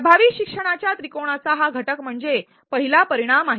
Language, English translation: Marathi, This learning outcome is the first component of the triangle of effective learning